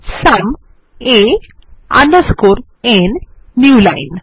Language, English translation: Bengali, sum a underscore n new line